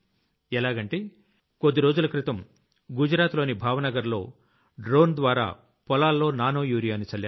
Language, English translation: Telugu, Like a few days ago, nanourea was sprayed in the fields through drones in Bhavnagar, Gujarat